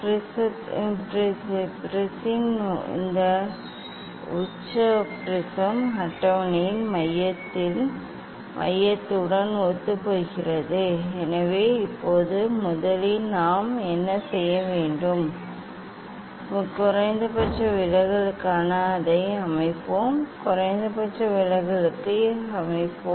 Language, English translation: Tamil, this apex of the prism will coincide the center of the center of the prism table So; now, first what we will do; we will set it for minimum deviation we will set it for minimum deviation